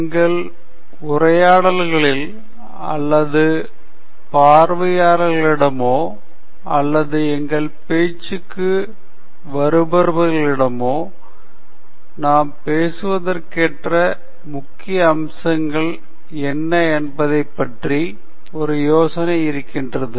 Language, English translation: Tamil, Our listeners or viewers or, you know, people who are attending our talk get an idea of what are all the major aspects that we are going to cover in the talk